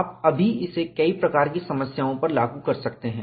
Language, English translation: Hindi, You could immediately apply to a variety of problems